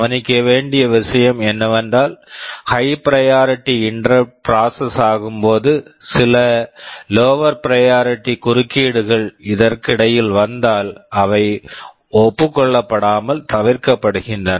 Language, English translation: Tamil, The point to note is that when a high priority interrupt is being processed, if some lower priority interrupt comes in the meantime; they will not be acknowledged, they will be ignored